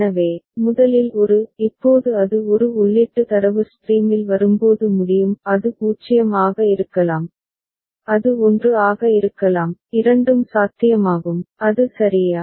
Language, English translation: Tamil, So, first is a; now when it is at a input data stream is coming it can it can be 0, it can be 1, both are possible, is it ok